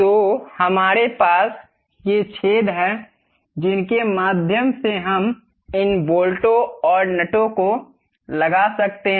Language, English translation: Hindi, So, we have these holes through which we can really put these bolts and nuts